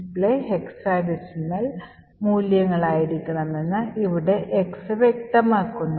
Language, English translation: Malayalam, The second x over here specifies that the display should be in hexa decimal values